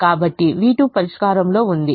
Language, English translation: Telugu, so v two and y two are in the solution